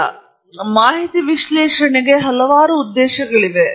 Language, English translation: Kannada, As I have listed here, there are several purposes to data analysis